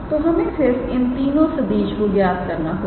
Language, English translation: Hindi, So, we just have to calculate these three vectors